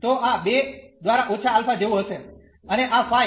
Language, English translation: Gujarati, So, this will be like minus alpha by 2 and this phi a